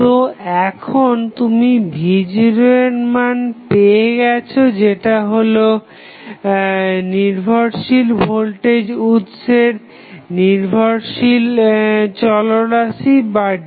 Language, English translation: Bengali, So, now, you got the value of V naught which is the dependent variable for this dependent voltage source